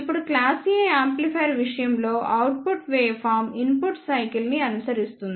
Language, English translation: Telugu, Now, in case of class A amplifier the output waveform follows the input cycle